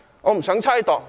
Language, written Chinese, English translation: Cantonese, 我不想猜度。, I do not want to make speculation